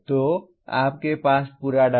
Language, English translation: Hindi, So you have complete data